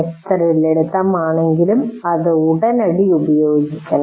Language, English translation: Malayalam, But it should be immediately applied